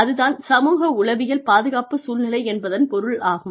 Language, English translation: Tamil, That is what, psychosocial safety climate, means